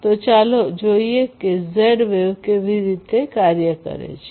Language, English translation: Gujarati, So, let us look at how Z wave works